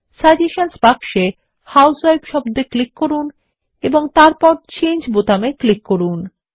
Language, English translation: Bengali, In the suggestion box,click on the word housewife and then click on the Change button